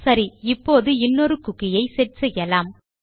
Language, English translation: Tamil, Now we can also set a cookie in a single sentence